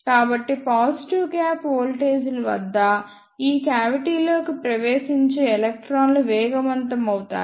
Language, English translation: Telugu, So, the electrons which enter this cavity at positive gap voltages will be accelerated